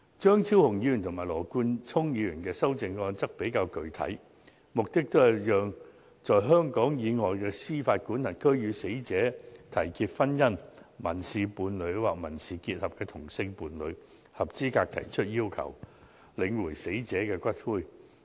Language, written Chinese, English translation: Cantonese, 張超雄議員和羅冠聰議員的修正案比較具體，目的都是讓在香港以外的司法管轄區與死者締結婚姻、民事伴侶或民事結合的同性伴侶，合資格提出要求領回死者的骨灰。, The amendments of Dr Fernando CHEUNG and Mr Nathan LAW are more specific and they seek to allow a deceased persons same - sex partner in a marriage civil partnership or civil union in any jurisdiction outside Hong Kong be eligible to claim for the return of the deceased persons ashes